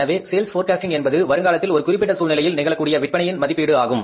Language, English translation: Tamil, So, it means sales forecasting is a prediction of sales under a given set of conditions